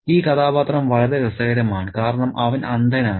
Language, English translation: Malayalam, And this character is very, very interesting because he is blind